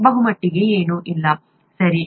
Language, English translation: Kannada, Pretty much nothing, right